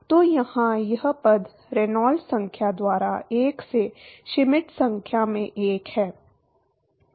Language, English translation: Hindi, So, this term here is 1 by Schmidt number into1 by Reynolds number